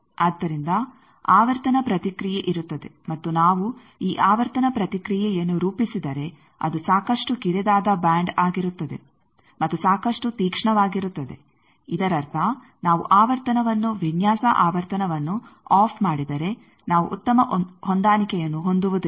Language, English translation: Kannada, So, there will be a frequency response and this if we plot this frequency response it will be quite narrow band and quite sharp; that means, just if we off the frequency off the design frequency we are not having a very good match